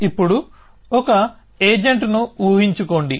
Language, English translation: Telugu, Now, just imagine an agent